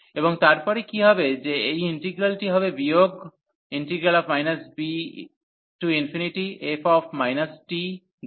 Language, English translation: Bengali, And then what will happen that this integral will be just minus b to infinity